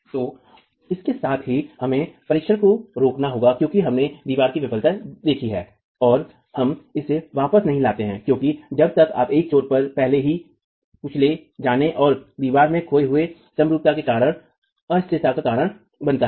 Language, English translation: Hindi, So, with that we have to stop the test because you have seen failure in the wall and we do not bring it back because then it causes instability due to one end already crushed and symmetry lost in the wall